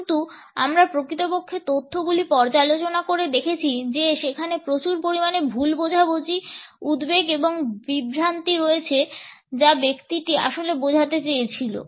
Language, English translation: Bengali, But what we have actually seen in the data, is that there is an immense amount of misunderstanding, anxiety and confusion on what did that person really mean